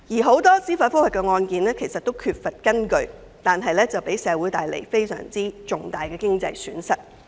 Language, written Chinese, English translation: Cantonese, 很多司法覆核個案均缺乏根據，但卻為社會帶來非常重大的經濟損失。, A lot of judicial review cases however are groundless which have caused rather significant economic losses to our society